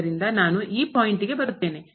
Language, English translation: Kannada, So, let me just come to this point